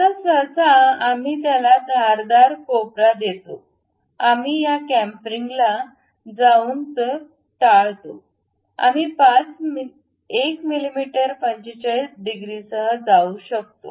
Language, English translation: Marathi, Now, usually we give this the the sharp corners we avoid it by going with chamfering this chamfering we can go with 1 mm with 45 degrees